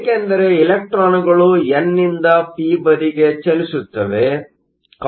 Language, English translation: Kannada, Electrons move from the n to the p